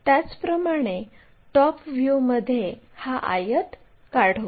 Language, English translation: Marathi, Similarly, in thetop view draw this rectangle